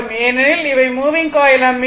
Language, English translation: Tamil, So, here it is a moving coil ammeter